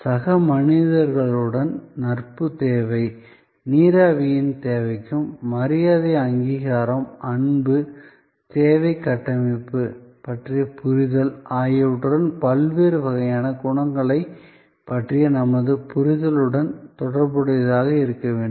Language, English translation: Tamil, To your need of association to need of friendship with fellow beings to your need of a steam, to your need for respect recognition, love and that understanding of the need structure has to be co related with this our understanding of the different types of qualities that we discussed